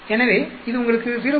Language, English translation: Tamil, Similarly, we can have for 0